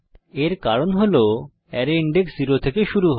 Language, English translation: Bengali, This is because array index starts from 0